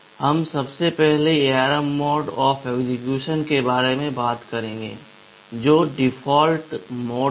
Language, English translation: Hindi, We first talk about the ARM mode of execution which is the default mode